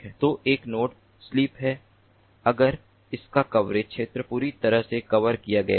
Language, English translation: Hindi, so a node sleeps if its coverage area is completely covered